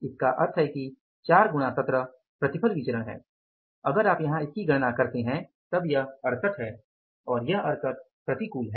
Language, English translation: Hindi, So, it means 4 into 17 is yield variance if you calculate here is 68 adverse